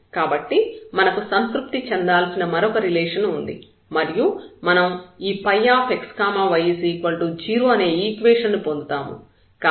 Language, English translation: Telugu, So, we have another relation which has to be satisfied, and we have this equation phi x y is equal to 0